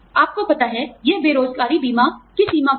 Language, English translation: Hindi, You know, some, it borders on unemployment insurance